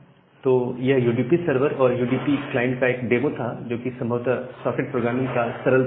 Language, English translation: Hindi, So, this is a demo about the UDP server and a UDP client which is the possibly the simplest form of the socket programming